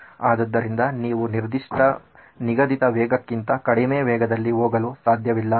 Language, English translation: Kannada, So there is a certain prescribed speed that you cannot go below